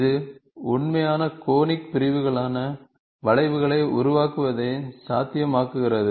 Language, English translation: Tamil, It makes it possible to create curves, that are true conic sections